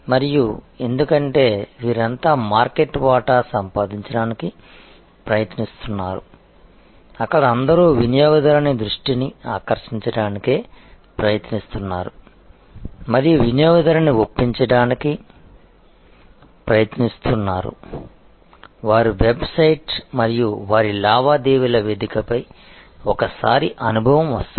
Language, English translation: Telugu, And this because, their all trying to grab market share, there all trying to grab attention of the consumer and trying to persuade the consumer at least comes once an experience their website and their transactional platform